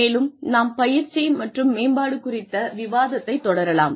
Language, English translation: Tamil, And, we will also start with, the discussion on training and development